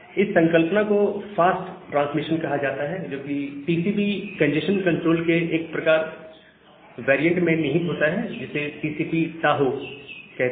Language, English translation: Hindi, So, this concept is known as fast retransmission, which is incorporated in one variant of TCP congestion control, which is called a TCP Tohoe